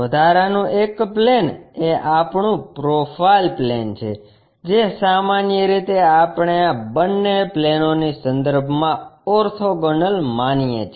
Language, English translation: Gujarati, The additional one is our profile plane which usually we consider orthogonal to both the planes that is this one